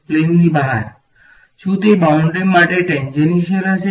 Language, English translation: Gujarati, Outside the plane; will it be tangential to the boundary